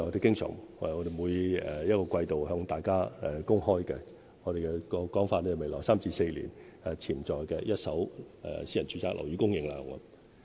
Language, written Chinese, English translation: Cantonese, 這就是我們經常按季度向大家公開的數字，按我們的說法，就是未來3至4年潛在的一手私人住宅樓宇供應量。, We publish those figures regularly on a quarterly basis indicating the potential supply of first - hand residential properties in the coming three to four years